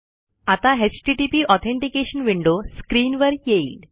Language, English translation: Marathi, HTTP Authentication window appears on the screen